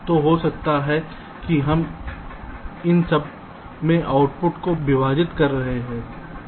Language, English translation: Hindi, so maybe we are splitting outputs across these